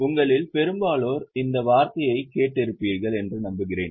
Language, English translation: Tamil, I hope most of you have heard this term